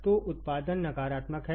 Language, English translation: Hindi, So, output is my negative